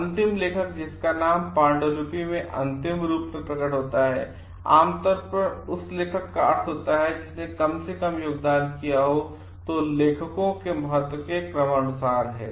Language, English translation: Hindi, Last author whose name appears as last in the manuscript usually implies the author who has made the least contribution so, it is in order of importance sort of